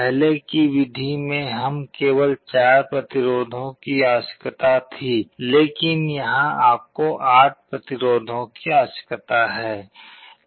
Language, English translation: Hindi, In the earlier method, we were requiring only 4 resistances, but here if you need 8 resistances